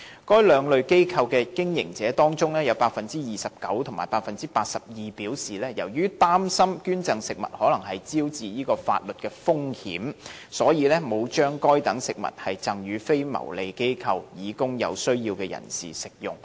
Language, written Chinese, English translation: Cantonese, 該兩類機構的經營者當中分別有百分之二十九及百分之八十二表示，由於擔心捐贈食物可能招致法律風險，所以沒有把該等食物贈予非牟利機構以供有需要人士食用。, Among the operators of these two types of organizations 29 % and 82 % of them respectively indicated that they had not donated such foods to non - profit making organizations for consumption by the needy because they were worried that legal risks might be incurred for donating foods